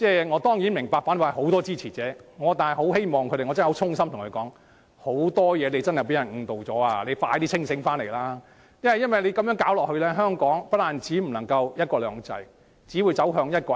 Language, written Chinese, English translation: Cantonese, 我當然明白反對派有很多支持者，但我想衷心對他們說，他們在很多事情上也被誤導了，必須盡快清醒過來，因為再這樣下去，香港將不會再有"一國兩制"，只會走向"一國一制"。, I certainly understand that the opposition camp has many supporters but let me tell him in all sincerity that they have been misled in many matters . I urge them to wake up as soon as possible because if we let this situation go on one country two systems will soon cease to exist in Hong Kong and we will move toward one country one system